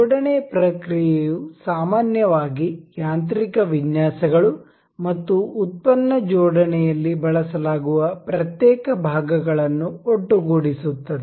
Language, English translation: Kannada, The assembly process consist of combing the individual parts that are usually used in mechanical designs and product assembly